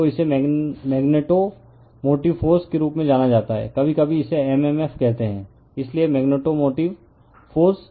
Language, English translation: Hindi, So, this is known as magnetomotive force, sometimes we call it is m m f right, so magnetomotive force